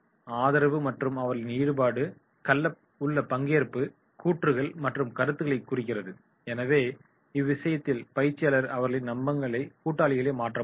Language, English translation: Tamil, Support means their participation and their sayings and feedback so in that case the trainer can make them the trusted allies